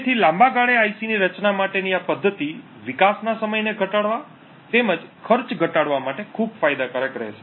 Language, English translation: Gujarati, So, in the long run this methodology for designing ICs would be extremely beneficial to reduce development time as well as bring down cost